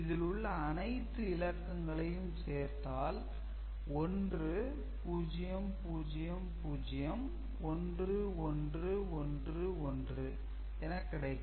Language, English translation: Tamil, So, when we multiplied all these things it is 1 1 0 1 right